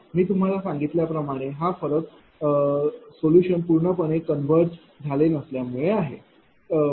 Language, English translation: Marathi, 48 I told you the difference is because, solution is not completely converged, right